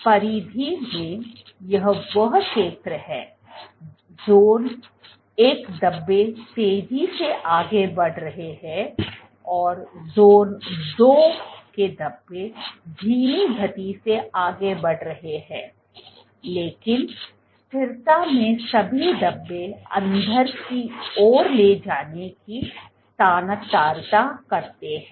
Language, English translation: Hindi, There is this zone at the periphery zone one speckles are fast moving and zone two speckles are slow moving, but consistency is all the speckles tend to moves inward